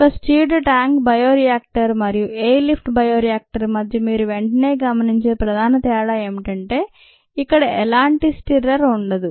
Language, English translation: Telugu, the main ah difference that you would immediately notice between a stirred tank bioreactor and a air lift bioreactor is that there is no stirrer here